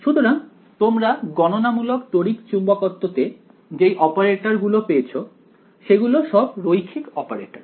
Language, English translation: Bengali, So, the operators that you get in Computational Electromagnetics are linear operators